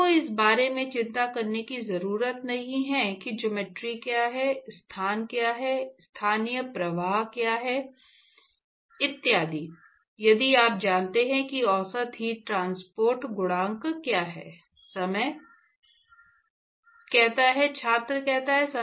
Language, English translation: Hindi, You do not have to worry about what is geometry, what is the location, what is the local flux etcetera if you know what is the average heat transport coefficient